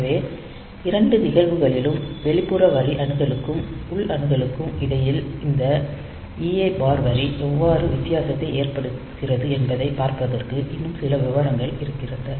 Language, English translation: Tamil, So, in both the cases external memory, there will be some more detail the where will see how this EA bar line makes difference between this external line access and internal access